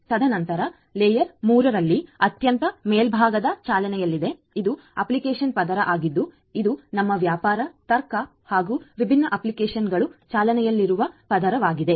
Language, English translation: Kannada, And then you have the applications which are running on the very top in the layer 3 this is this application layer where your business logic your different applications are running